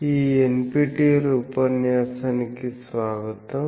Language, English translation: Telugu, Welcome to this NPTL lecture